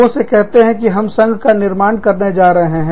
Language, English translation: Hindi, They tell people, that we are going to form a union